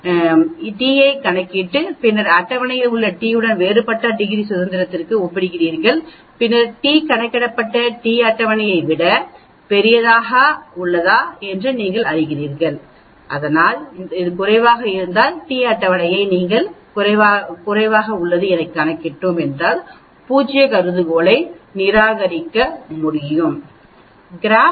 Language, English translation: Tamil, So that you calculate t from the equation and then you compare with the t in the table for a different degrees of freedom, and then you say whether the t calculated is greater than t table, if it is greater than you have you can reject the null hypothesis, but if it is less we calculated less than the t table we cannot reject the null hypothesis